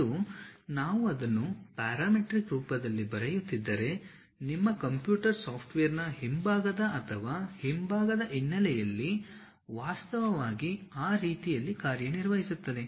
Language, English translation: Kannada, And, if we are writing it in parameter form so, the background of your or back end of your computer software actually works in that way